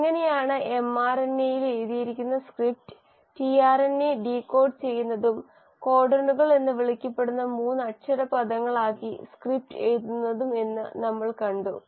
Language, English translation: Malayalam, We saw how mRNA, the script which is written on mRNA is decoded by the tRNA and the script is written into 3 letter words which are called as the codons